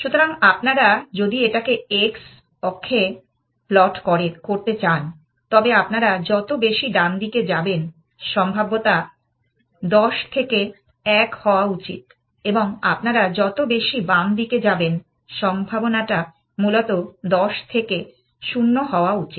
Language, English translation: Bengali, So, if you want to plot this on x axis then the more you go to the right hand side, the probability should 10 to 1 and the more you go to the left hand side, the probability should 10 to 0 essentially